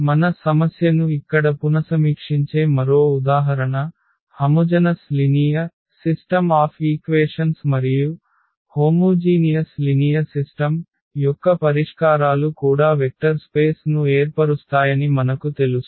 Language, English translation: Telugu, Another example where we will revisit the our problem here A x is equal to 0, the system of homogeneous linear equations and we know that the solutions set of a homogeneous linear system also forms a vector space